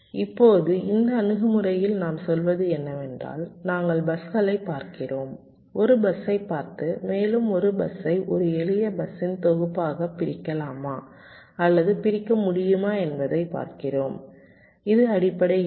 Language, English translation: Tamil, now, in this approach, what we are saying is that we are looking at the buses, look at a bus and see whether we can split or partition a bus into a set up simpler buses